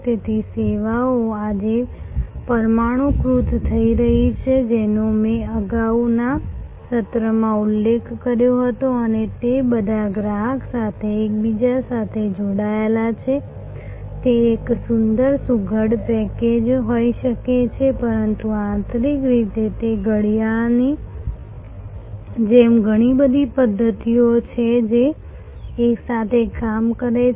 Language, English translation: Gujarati, So, services today therefore, are getting molecularized which I mentioned in the previous session and they are getting all interconnected to the consumer in front they may be a lovely neat package, but internally it is just like a watch internally has many mechanisms all working together